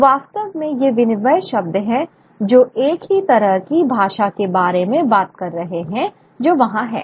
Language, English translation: Hindi, So, really these are interchangeable terms talking about the same kind of language which is there